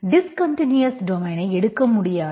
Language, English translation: Tamil, You cannot take discontinuous domains